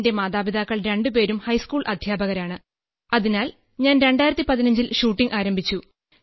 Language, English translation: Malayalam, Both my parents are high school teachers and I started shooting in 2015